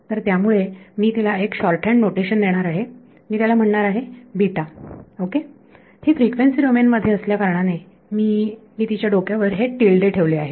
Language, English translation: Marathi, So, I am going to give it a shorthand notation I am going to call it beta ok, since it is in the frequency domain I am putting a tilde on its